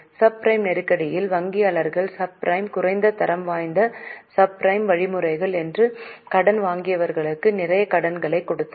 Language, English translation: Tamil, In subprime crisis, bankers gave lot of loans to those borrowers which were subprime